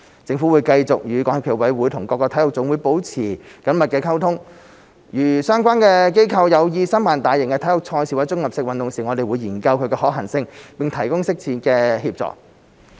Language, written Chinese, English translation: Cantonese, 政府會繼續與港協暨奧委會及各體育總會保持緊密溝通，如相關機構有意申辦大型體育賽事或綜合性運動會時，我們會研究其可行性，並提供適切的協助。, The Government will continue to maintain close communication with SFOC and NSAs . If an organization concerned intends to bid for a major or multi - sports event we will consider the feasibility and provide appropriate assistance